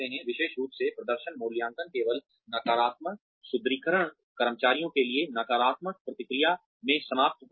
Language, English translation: Hindi, Especially, performance appraisals only end up in negative reinforcement, negative feedback to the employees